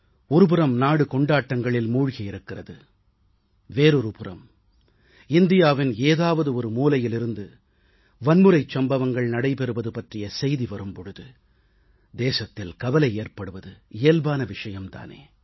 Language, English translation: Tamil, When on the one hand, a sense of festivity pervades the land, and on the other, news of violence comes in, from one part of the country, it is only natural of be concerned